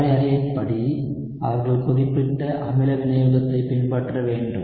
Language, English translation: Tamil, So by definition, they should follow specific acid catalysis